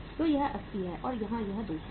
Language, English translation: Hindi, So this is 80 and here it is 200